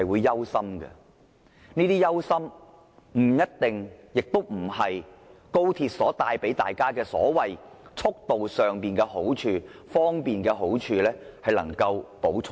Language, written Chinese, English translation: Cantonese, 這些令我們憂心的事，並非高鐵帶來的所謂好處和便捷所能彌補的。, This is what we are worried about and such concerns cannot be alleviated by the so - called benefits or convenience